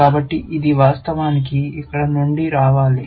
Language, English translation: Telugu, So, this should actually, come from here